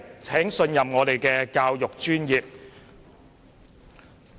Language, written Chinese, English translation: Cantonese, 請信任我們的教育專業。, Please trust the education profession